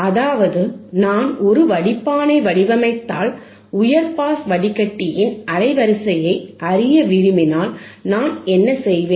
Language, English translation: Tamil, tThat means, that if I design if I design a filter then and if I want to know the bandwidth of high pass filter, what I will do